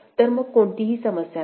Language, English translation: Marathi, So, then there is no issue